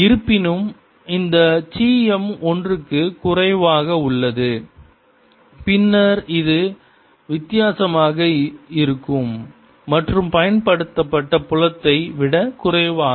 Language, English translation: Tamil, however, this chi m is less than one, then this is going to be different and going to be less than the applied field